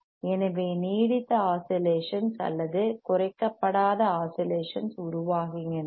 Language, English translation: Tamil, hHence sustained oscillations or un damped oscillations are formed;